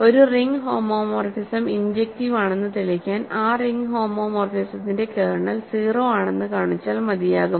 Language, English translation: Malayalam, So, to prove that a ring homomorphism is injective, it suffices to show that kernel of that ring homomorphism is 0